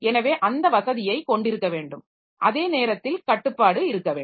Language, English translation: Tamil, So, you see we need to have that facility at the same time we need to have a restriction